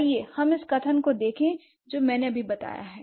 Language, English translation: Hindi, So, what has been, let's look at the statement that I just made